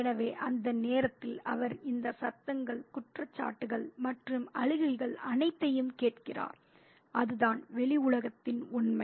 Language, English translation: Tamil, So, at that moment he hears all these noises and accusations and crying and that is the reality of the world outside